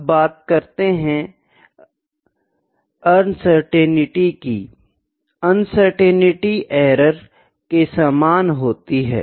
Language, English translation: Hindi, Next is uncertainty; uncertainty is equivalents to or similar to the errors